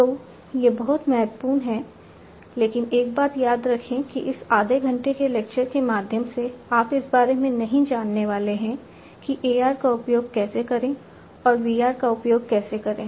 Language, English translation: Hindi, So, these are very important, but remember one thing that through this half an hour lecture, you are not going to learn about, how to use the AR and how to use VR